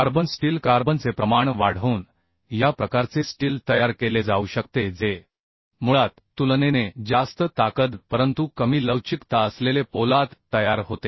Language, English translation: Marathi, By increasing the carbon content, this type of steel can be manufactured, which basically produces steel with comparatively higher strength but less ductility